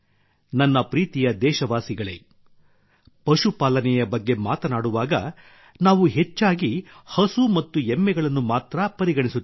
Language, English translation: Kannada, My dear countrymen, when we talk about animal husbandry, we often stop at cows and buffaloes only